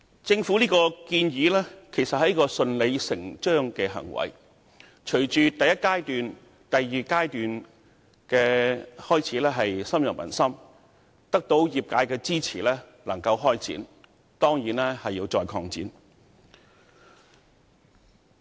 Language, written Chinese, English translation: Cantonese, 政府當前的建議，是順理成章的行為，既然第一及第二階段的計劃開始深入民心，又得到業界支持開展，當局理應進一步擴展計劃。, It is a matter of course for the Government to put forward these proposals . Since the first and second phases of the scheme have started to gain popular support and the industries are also supportive of their implementation it only stands to reason for the authorities to extend the scheme further